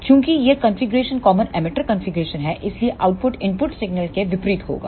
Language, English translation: Hindi, Since this configuration is common emitter configuration so the output will be in opposite phase to that of the input signal